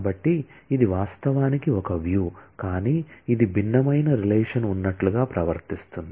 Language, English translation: Telugu, So, this actually is a view, but this behaves as if this is varying relation